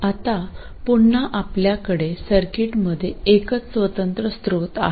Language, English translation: Marathi, Now again I have a single independent source in the circuit